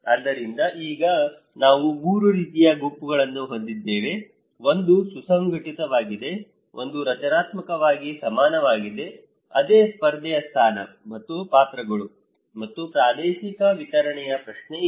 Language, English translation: Kannada, So, now we have 3 kinds of groups; one is cohesive, one is structurally equivalents, there is same competition position and roles and the question of spatially distribution